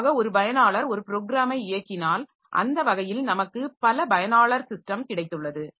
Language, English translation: Tamil, So, if I normally one user is running one program, so in that sense we have got multiple user system